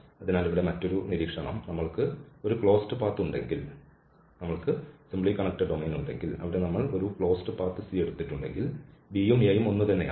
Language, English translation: Malayalam, So, here just another observation that if we have a closed path, we have the simply connected domain and there we have taken a closed path C, so, what will happen here the b and a are the same the initial and the endpoints are same